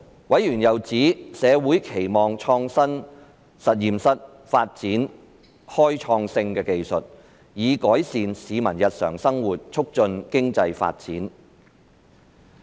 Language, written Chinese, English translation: Cantonese, 委員又指社會期望創新實驗室發展開創性的技術，以改善市民日常生活並促進經濟發展。, Members also pointed out that the community expected that the Smart Lab would develop groundbreaking technologies to improve peoples daily life and foster economic development